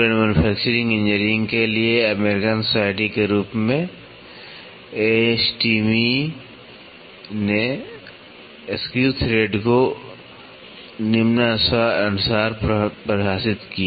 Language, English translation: Hindi, AS the American Society for Tool and Manufacturing Engineering; ASTME defined the screw thread as following